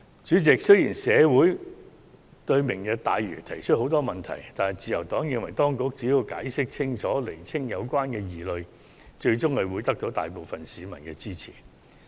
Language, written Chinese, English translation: Cantonese, 主席，雖然社會對"明日大嶼"的規劃提出很多問題，但自由黨認為當局只要解釋清楚，釐清有關疑慮，最終會獲得大部分市民支持。, President although the Lantau Tomorrow Vision has attracted a lot of queries in the community the Liberal Party is of the view that as long as the Government can explain clearly to the public and clear their doubts the proposal will eventually have majority support